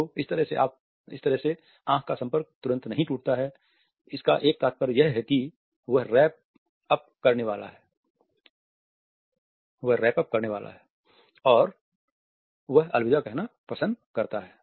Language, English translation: Hindi, So, that way the eye contact is not immediately broken there is a sense that he is about to wrap up, what he says and its almost like saying goodbye